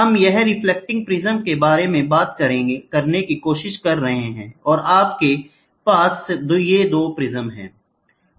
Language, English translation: Hindi, So, if you look back here, this is what we are trying to talk about prism reflecting prism, and you have this prism here 2 prisms